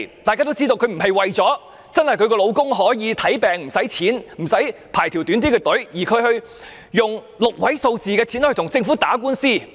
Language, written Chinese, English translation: Cantonese, 大家都知道，他不是為了丈夫真的可以享用免費醫療、排較短的隊列，而花6位數字的費用來跟政府打官司。, As we all know in spending a six - figure sum on fighting the Government in court he does not really aim at free health care entitlements and a shorter queue for his husband